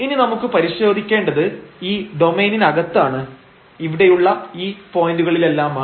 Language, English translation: Malayalam, So, what we have to search now we have to search inside the domain so at all these points